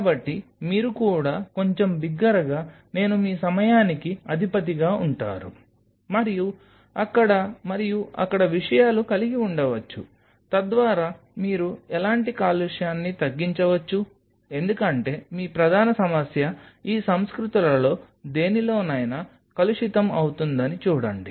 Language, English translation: Telugu, So, you might as well thing little louder I head of your time and have the things then and there, so that you minimize any kind of contamination because see your major problem will be contamination in any of these cultures